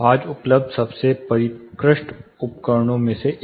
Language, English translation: Hindi, One of the most sophisticated you know tool available today